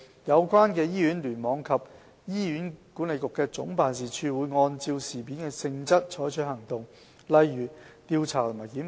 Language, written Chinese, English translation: Cantonese, 有關的醫院、聯網及醫管局總辦事處會按事件的性質採取行動，例如調查和檢討。, The hospitals and clusters concerned and HA Head Office will take appropriate actions such as conducting investigation and reviews having regard to the nature of the incidents